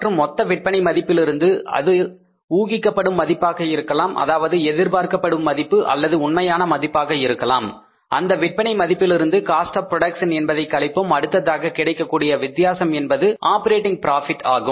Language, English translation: Tamil, And from the total sales value, either it is anticipated value, expected value or actual value, from that sales value, if we subtract the cost of production, then the difference is called as the operating profit, right